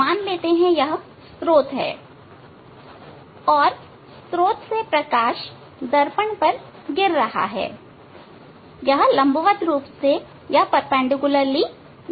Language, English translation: Hindi, This on the mirror light is falling say this is the source from source light is falling on the mirror say falling perpendicularly